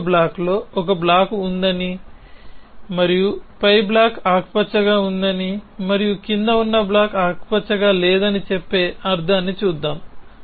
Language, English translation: Telugu, So, let us look at the meaning it saying that there is a block on another block and the block above is green and the block below is not green